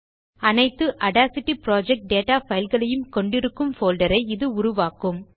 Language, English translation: Tamil, This creates a folder that will contain all the audacity project data files